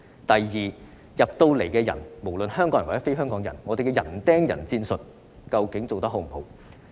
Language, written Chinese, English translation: Cantonese, 第二，入境人士，不論是香港人或非香港人，究竟我們的人盯人戰術做得好不好？, Second insofar as people entering Hong Kong are concerned whether they are Hongkongers or not have we done a good job with our man - to - man strategy?